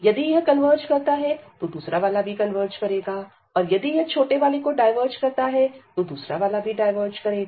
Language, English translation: Hindi, If this converges, the other one will also converge; and if that diverge the smaller one if that diverges, the other one will also diverge